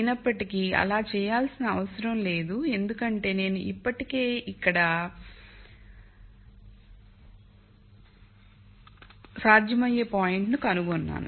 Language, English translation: Telugu, However, there is no need to do that because I already found a feasible point here